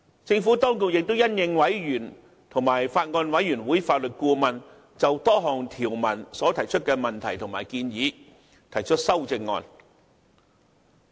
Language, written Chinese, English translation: Cantonese, 政府當局亦因應委員及法案委員會法律顧問就多項條文所提出的問題和建議提出修正案。, In response to the enquiries in relation to various clauses and suggestions made by members and the Legal Adviser to the Bills Committee the Administration will propose certain CSAs